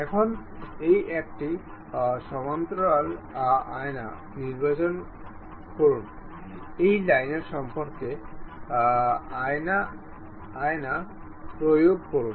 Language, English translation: Bengali, Now, parallel to that select this one mirror, mirror about this line, apply